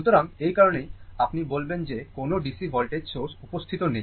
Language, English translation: Bengali, So, that is why, your what you call that no DC voltage source is present